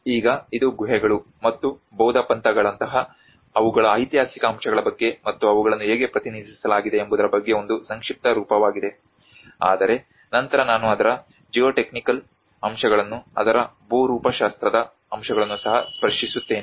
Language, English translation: Kannada, \ \ Now, this is a brief about the caves and their historic aspect like the Buddhist sects and how they have been represented, but then I will also touch upon the geotechnical aspects of it, the geomorphological aspects of it